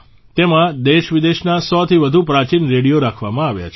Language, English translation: Gujarati, More than a 100 antique radios from India and abroad are displayed here